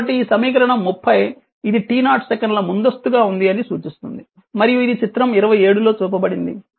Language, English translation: Telugu, So, this is equation 30 say so this equation 30 it indicates that u t is advanced by t 0 second and is shown in figure ah 27